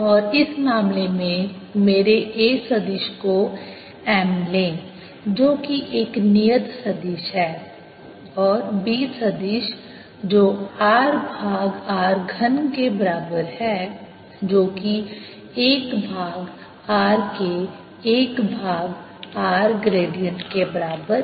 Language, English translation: Hindi, and take my a vector in this case to be m, which is a constant vector, and b vector to be r over r cubed, which is also equal to one over r, gradient of one over r